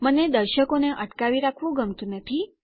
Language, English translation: Gujarati, I dont like to keep the viewers on hold